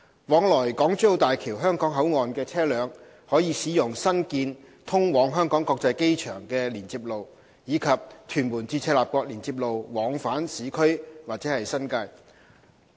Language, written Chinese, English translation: Cantonese, 往來港珠澳大橋香港口岸的車輛可使用新建通往香港國際機場的連接路，以及屯門至赤鱲角連接路往返市區或新界。, Vehicles connecting to the Hong Kong Boundary Crossing Facilities HKBCF of HZMB can use the new access road leading to the Hong Kong International Airport or the Tuen Mun - Chek Lap Kok Link TM - CLKL to travel to the urban area or the New Territories